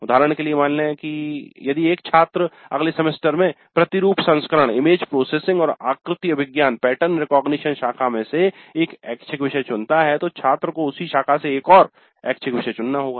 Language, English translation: Hindi, For example if the student picks up one elective from let us say image processing and pattern recognition stream in the next semester the student is supposed to pick up another elective from the same stream